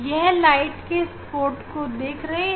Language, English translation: Hindi, Yes, spot of the light you can see